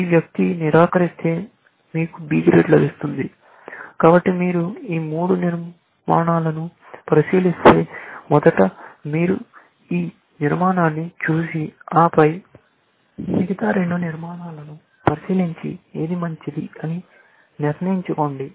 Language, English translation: Telugu, If this person denies, then you get a B, which is, this, so, looking at this thing is, looking at these three structure; first, you look at your decision and then, you look at other two decisions and then, and see which one is better